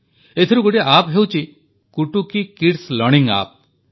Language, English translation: Odia, Among these there is an App 'Kutuki Kids Learning app